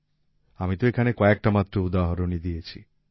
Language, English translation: Bengali, I have given only a few examples here